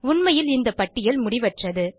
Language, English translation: Tamil, Indeed, this list is endless